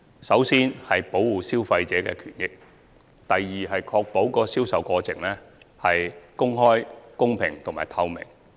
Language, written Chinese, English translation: Cantonese, 首先，保護消費者的權益；第二，確保銷售過程公開、公平及透明。, First to protect consumers rights; second to ensure openness fairness and transparency of the sales process